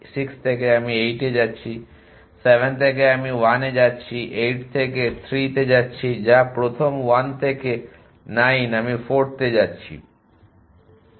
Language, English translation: Bengali, From 6 I am going to 8, from 7 I am going to 1, from 8 going to 3 which is the first 1 from 9 I am going to 4